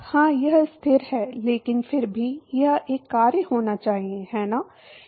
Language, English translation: Hindi, yeah it is a constant, but still it should be a function, right